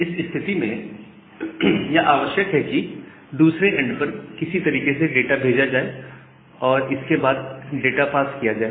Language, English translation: Hindi, What is more required is to send a data somehow at the other end, and then just parse the data